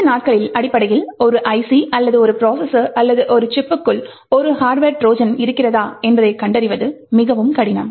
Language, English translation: Tamil, These days, essentially, because it is extremely difficult to detect whether an IC or a processor or a chip is having a hardware Trojan present within it